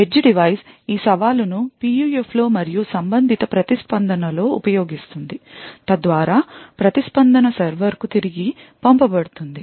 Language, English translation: Telugu, The edge device would then use this challenge in its PUF and often the corresponding response, so that response is sent back to the server